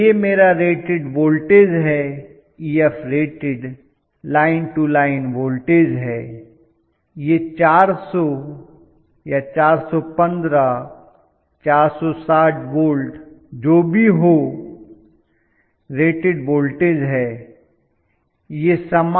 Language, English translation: Hindi, So this is my rated voltage maybe this is Ef rated, line to line voltage let us say it says 400 or 415, 460 whatever that is going to be the rated voltage